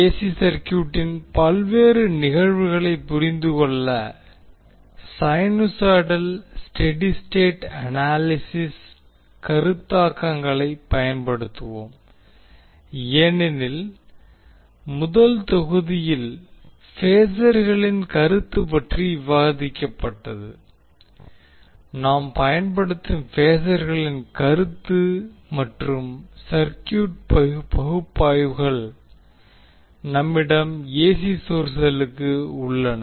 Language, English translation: Tamil, That is we will use the sinusoidal steady state, state analysis concepts to understand the various phenomena of AC circuit now as we know that the concept of phasors was discussed in the first module, the concept of phasors we will use and the circuit analysis for the cases where we have the AC source available